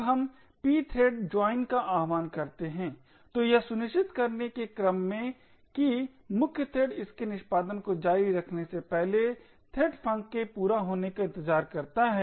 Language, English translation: Hindi, Now we invoke the pthread joint in order to ensure that the main thread waits for the thread func to complete before continuing its execution